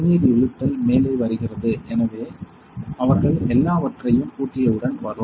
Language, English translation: Tamil, So, water pulling is come up; so once they lock everything this will come on